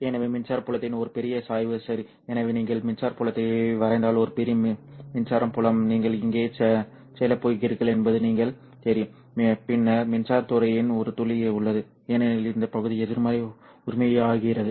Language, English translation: Tamil, So if you sketch the electric field itself, you will see that a large electric field, you know, you are going to get over here, and then there is a drop off of the electric field because this region becomes negative, right